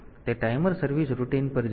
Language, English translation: Gujarati, So, it will go to the timer service routine